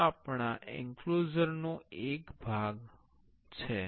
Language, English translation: Gujarati, This is one part of our enclosure